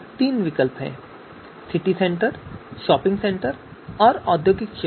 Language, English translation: Hindi, We have three alternatives, City Centre, shopping centre and industrial area